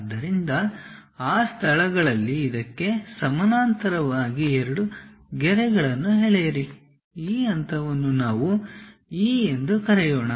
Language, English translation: Kannada, So, at those locations draw two lines parallel to this one, let us call this point as something E